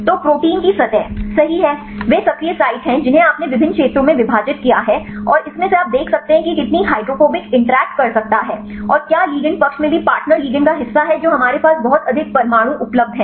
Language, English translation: Hindi, So, the protein surface right, they are the active sites you divided into various zones and from this you can see how many hydrophobic interaction it could make and whether in the ligand side also the part the partner ligand we have that much atoms are available